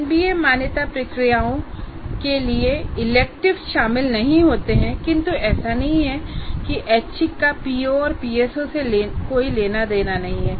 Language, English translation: Hindi, Electives do not come into picture of for an MBA accreditation process, not that the electives have nothing to do with POs and PSOs